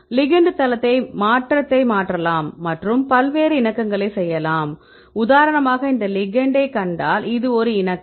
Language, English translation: Tamil, Ligand site also you can change the conformation and make various conformations right for example, if I see you show this ligand this is one conformation